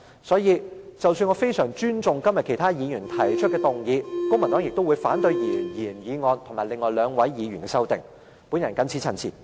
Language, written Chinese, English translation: Cantonese, 所以，即使我相當尊重今天其他議員提出的修正案，公民黨亦會反對原議案及另外兩位議員提出的修正案。, So despite our due respect for the other amendment proposers today the Civic Party is against the original motion and the amendments proposed by the other two Members